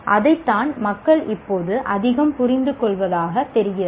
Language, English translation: Tamil, That is what people seem to be understanding a lot more